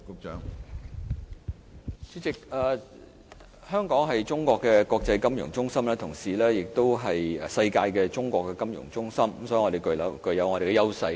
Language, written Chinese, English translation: Cantonese, 主席，香港是中國的國際金融中心，同時亦是世界的中國金融中心，所以我們具備優勢。, President Hong Kong is an international financial centre of China and also the Chinese financial centre of the world so we have an edge